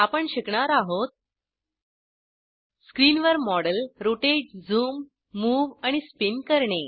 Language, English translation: Marathi, In this tutorial,we have learnt to Rotate, zoom, move and spin the model on screen